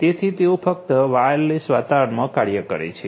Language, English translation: Gujarati, So, they operate in wireless environment